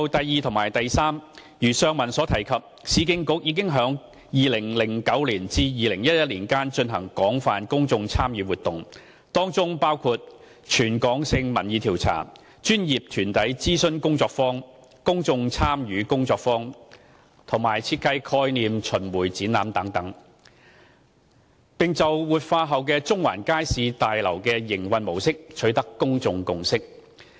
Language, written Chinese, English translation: Cantonese, 二及三如上文提及，市建局已於2009年至2011年間進行廣泛公眾參與活動，當中包括全港性民意調查、專業團體諮詢工作坊、公眾參與工作坊及設計概念巡迴展覧等，並就活化後的中環街市大樓的營運模式，取得公眾共識。, 2 and 3 As mentioned above URA conducted an extensive public engagement exercise between and 2011 including territory - wide opinion polls consultation workshops for professional bodies workshops for public engagement and roving exhibition on the design concept etc during which public consensus regarding the operation model for the revitalized Central Market Building was reached